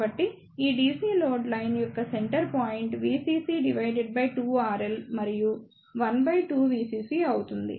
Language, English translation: Telugu, So, the centre point for this DC load line will be V CC by 2 R L and 1 by 2 V CC